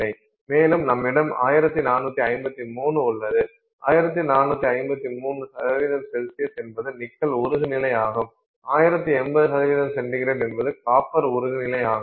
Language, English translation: Tamil, 1453 is the melting point of nickel, 1085 degrees centigrade is the melting point of copper